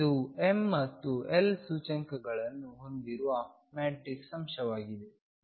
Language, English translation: Kannada, This is a matrix element with m and l indices